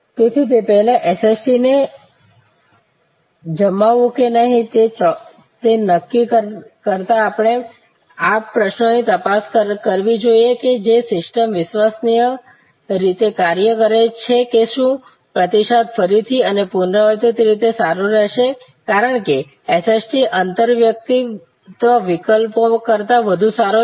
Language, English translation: Gujarati, Before therefore, deciding on whether to deploy or not deploy SST we should check on these simple questions that does the system work reliably is the response going to be again and again repetitively good is the SST better than interpersonal alternatives